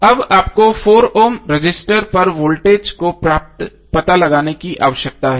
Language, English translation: Hindi, Now you need to find out the voltage across 4 Ohm resistor